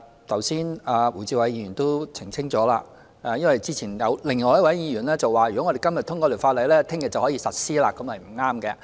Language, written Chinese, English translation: Cantonese, 剛才胡志偉議員已澄清——因為之前有另一位議員說，如果今天通過《條例草案》，明天便可以實施，這是不對的。, Just now Mr WU Chi - wai has clarified that if the Bill was passed today it would not take effect tomorrow as previously claimed by another Member